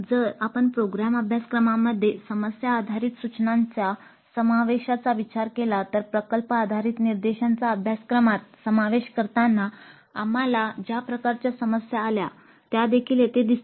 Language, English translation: Marathi, So that is the reason this has become more popular and if you look at the incorporation of problem based instruction into the program curriculum, the same kind of problems that we encountered while incorporating the project based instruction into the curriculum will appear here also